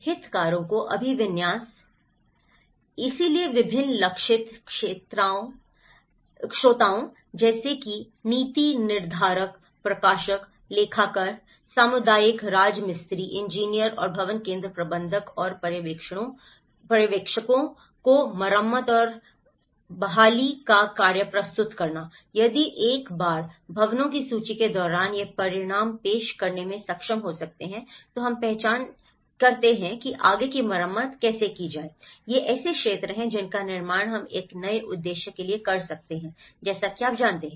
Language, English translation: Hindi, Orientation of the stakeholders; so presenting the task of repair and recovery to different target audiences such as policymakers, administrators, accountants community masons, engineers and building centre managers and supervisors so, if once can be able to present this outcome when these are the list of the buildings, we have identified that could be repaired further, these are the areas which we can construct for a new purpose, you know